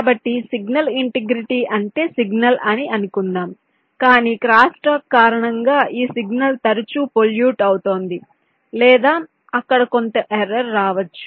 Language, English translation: Telugu, so signal integrity means the signal what is suppose to be, but because of crosstalk this signal is getting frequency polluted or there is some error introduced there in